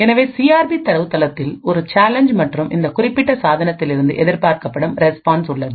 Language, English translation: Tamil, So the CRP database contains a challenge and the expected response from this particular device